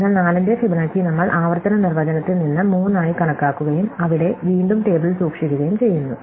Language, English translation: Malayalam, So, we compute Fibonacci of 4 to be 3 from the recursive definition and there again we store it in the table